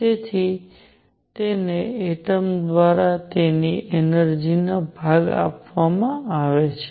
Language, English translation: Gujarati, So, it is given part of his energy through the atom